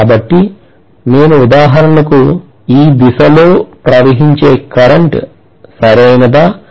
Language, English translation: Telugu, So if I am going to have for example, a current flowing in this direction, Right